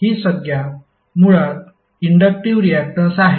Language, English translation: Marathi, This term is basically the inductive reactance